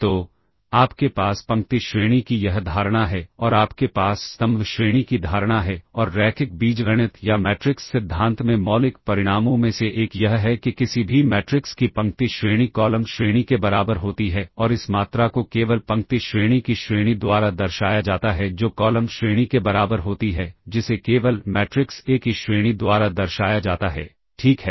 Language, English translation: Hindi, So, you have this notion of row rank and you have the notion of column rank and one of the fundamental results in linear algebra or matrix theory is that the row rank of any matrix equals the column rank and this quantity simply denoted by the rank of the row rank equals column rank which is simply denoted by the rank of the matrix A, ok